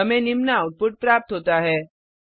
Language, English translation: Hindi, We get the output as follows